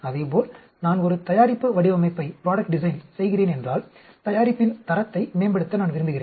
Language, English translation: Tamil, And similarly, if I am doing a product design, I want to improve the quality of the product